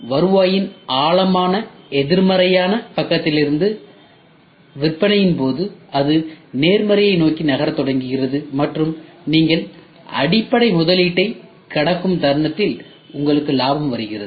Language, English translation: Tamil, So, during the sale from the deep negative side of the revenue, it starts moving towards positive and moment you cross the basic investment, there comes your profit